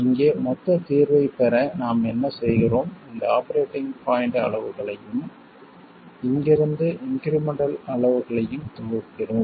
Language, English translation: Tamil, And to get the total solution here, what we do is we sum the operating point quantities which are these and the incremental quantities from here